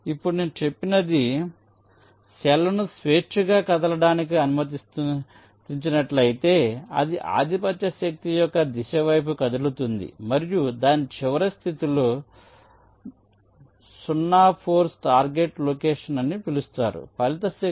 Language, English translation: Telugu, now what i have just mentioned: if the cell i is allow to move freely, so it will be moving towards the direction of the dominant force and in its final position, which is sometime called the zero force target location, the resultant force, f